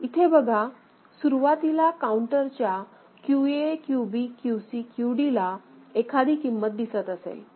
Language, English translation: Marathi, So, you see, initially the counter may have some value QA QB QC QD over here by right